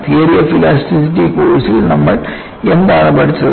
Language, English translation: Malayalam, In theory of elasticity course, what you learned